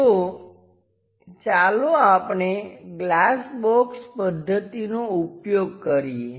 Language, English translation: Gujarati, So, let us use glass box method